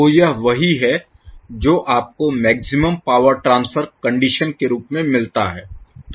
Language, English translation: Hindi, So, this is what you get under the maximum power transfer condition